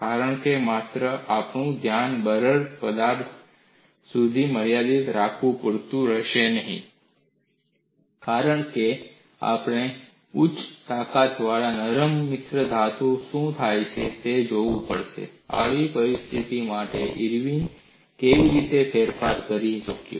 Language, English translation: Gujarati, Because only confining our attention to brittle solids will not be sufficient because we have to look at what happens in high strength ductile alloys; how Irwin was able to modify for such a situation